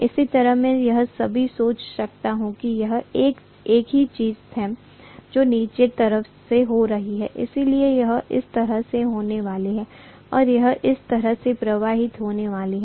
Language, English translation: Hindi, Similarly, I can also think of the same thing happening from downside, so it is going to have like this and it is going to flow like this